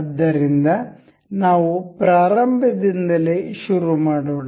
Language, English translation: Kannada, So, let us begin from the start